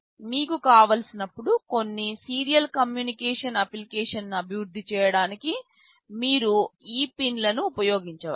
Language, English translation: Telugu, You can use these pins to develop some serial communication application whenever you want